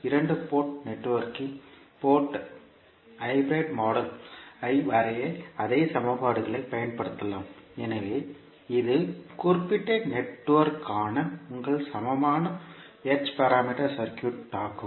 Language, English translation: Tamil, So the same equations you can utilize to draw the hybrid model of a two port network, so this will be your equivalent h parameter circuit for a particular network